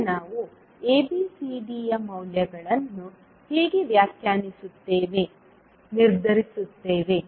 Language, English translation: Kannada, Now, how we will define, determine the values of ABCD